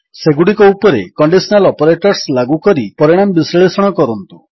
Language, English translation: Odia, Lets apply conditional operators on them and analyse the results